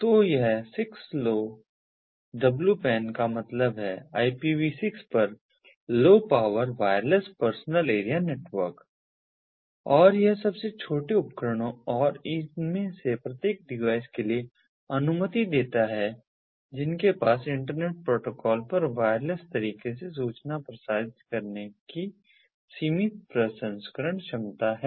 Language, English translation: Hindi, so its stands for sixlowpan stands for low power, wireless personal area network over ipv six, and it allows for the smallest devices, and each of these devices having limited processing ability, to transmit information wirelessly over the internet protocol